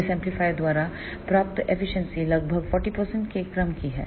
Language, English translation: Hindi, The efficiency achieved by this amplifier is of the order of around 40 percent